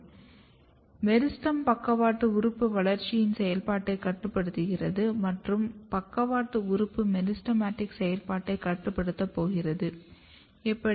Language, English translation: Tamil, So, meristem is controlling the activity of lateral organ growth and lateral organ is going to control the meristematic activity, how